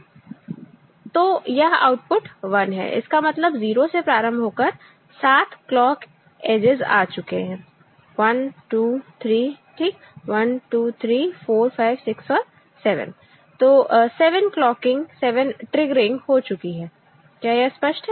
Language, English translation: Hindi, So, this one this output is 1, that means, 7 clock edges starting from 0 has taken place 1, 2, 3, ok, 1, 2, 3, 4, 5, 6 and 7, 7 clock clocking, 7 triggering has happened Is it clear